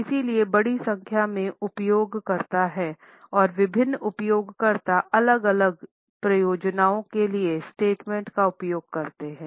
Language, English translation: Hindi, So, there are large number of users and different users use the statements for different purposes